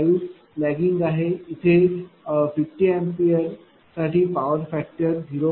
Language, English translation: Marathi, 5 lagging, power factor is 0